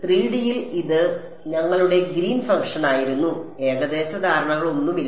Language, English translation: Malayalam, In 3D this was our greens function with no approximations right